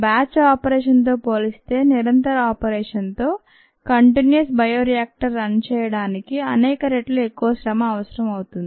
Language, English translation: Telugu, many times more effort are required to run a continuous operation, continuous batch, continuous bioreactor compared to the batch operation